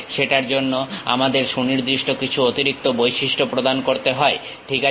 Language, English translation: Bengali, We may have to provide certain additional features for that, ok